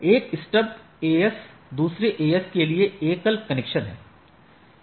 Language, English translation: Hindi, A stub AS is a single connection to another AS right